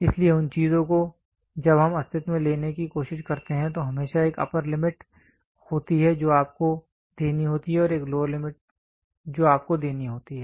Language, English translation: Hindi, So, those things when we try to take into existence there is always an upper limit which you have to give and a lower limit which you have to give